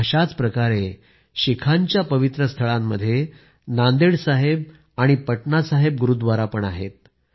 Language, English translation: Marathi, Similarly, the holy sites of Sikhs include 'Nanded Sahib' and 'Patna Sahib' Gurdwaras